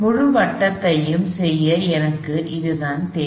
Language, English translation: Tamil, That is all I need for it to do the full circle